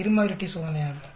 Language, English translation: Tamil, Two sample t test also